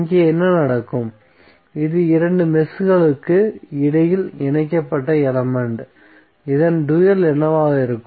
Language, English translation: Tamil, So, what will happen here this is the element which is connected between two meshes, so the dual of this would be what